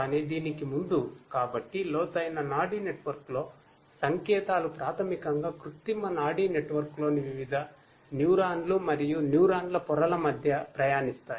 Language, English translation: Telugu, But before that, so in a deep neural network, the signals basically travel between different neurons and layers of neurons in artificial neural network